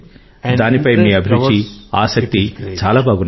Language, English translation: Telugu, Your passion and interest towards it is great